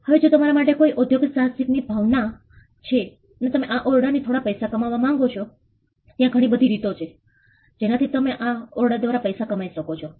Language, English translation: Gujarati, Now if there is an entrepreneurial spirit in you and you want to make some money with this room, there are multiple ways in which you can use this room to make money